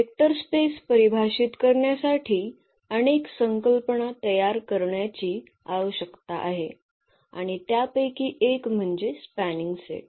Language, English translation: Marathi, So, to define the Vector Space we need to prepare for many concepts and this is one of them so, called the spanning set